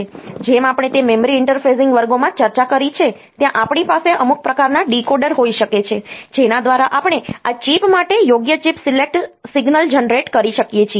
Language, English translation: Gujarati, So, as we have discussed in that memory interfacing classes, there we can have some sort of decoder by which we can generate appropriate chip select signal for this chip